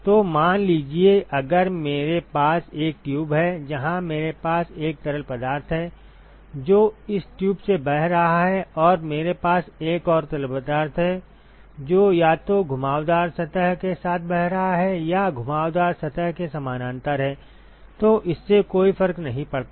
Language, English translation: Hindi, So, suppose if I have if I have a tube, where I have a fluid which is flowing through this tube and I have another fluid, which is either flowing along the curved surface or parallel to the curved surface it does not matter